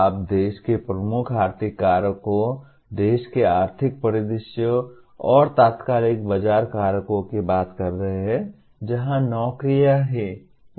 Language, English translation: Hindi, You are talking of the major economic factors of the country, economic scenario of the country and immediate market factors, where the jobs are